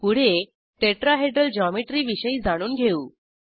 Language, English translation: Marathi, Next, let us learn about Tetrahedral geometry